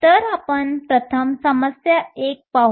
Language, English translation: Marathi, So, let us first look at problem one